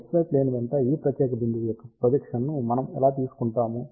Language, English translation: Telugu, So, what we do we take the projection of this particular point along x y plane